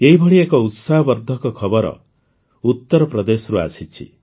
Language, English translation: Odia, One such encouraging news has come in from U